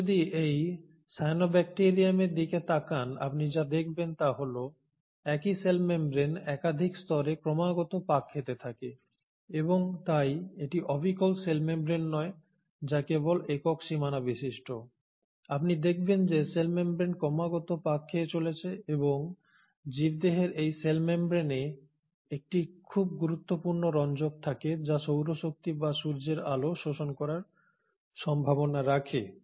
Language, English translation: Bengali, If you notice in this cyanobacterium what you observe is the same cell membrane keeps on refolding into multiple layers and so it is not just the cell membrane which is just a single boundary, you find that the cell membrane keeps on folding and it is in these cell membrane that the organism houses a very important pigment which has a potential to absorb solar energy or sunlight